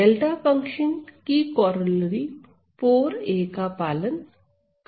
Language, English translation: Hindi, So, the delta function also obeys are corollary 4a